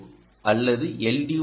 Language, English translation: Tamil, so it can be an l